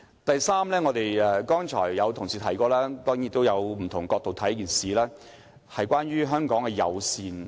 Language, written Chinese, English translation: Cantonese, 第三，這點是剛才有同事提及，也可以從不同角度看待，便是關於香港的友善。, The third point concerns Hong Kongs hospitality which has been mentioned by a colleague just now . We can approach this from different perspectives